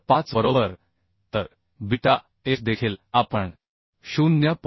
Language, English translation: Marathi, 5 right So beta f also we are putting as 0